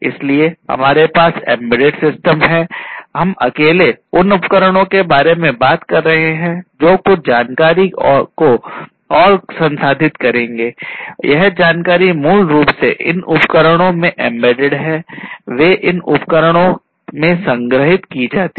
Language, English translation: Hindi, So, we have in embedded systems we are talking about devices alone the devices that will process some information and this information are basically embedded in these devices, they are stored in these devices and so on